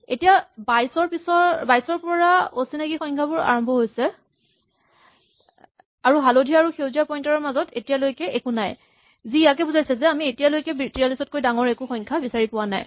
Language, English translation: Assamese, So, the unknown things start from 22, and there is nothing between the yellow and the green pointer indicating we have not yet found the value bigger than 43, same happens for 22